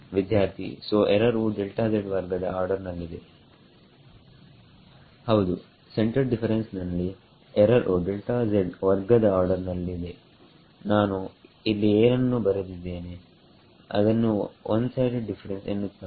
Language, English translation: Kannada, Yes, the error is an order delta z squared in a centered difference, what I have written over here is called a one sided difference ok